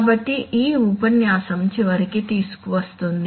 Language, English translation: Telugu, So this brings us to the end of this lecture